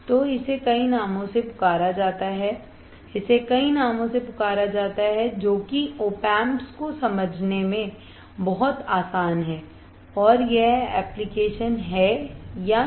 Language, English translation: Hindi, So, it is called by many names, it is called by many names very easy to understand op amps and it is application is it not